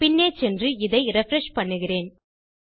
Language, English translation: Tamil, Let me go back and refresh this